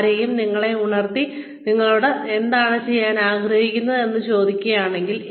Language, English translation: Malayalam, If, somebody were to wake you up, and ask you, what you want to do